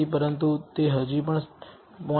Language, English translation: Gujarati, But it is still not bad 0